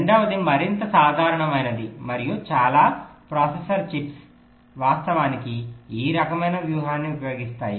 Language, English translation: Telugu, the second one is more general and many processor chips actually use this kind of a strategy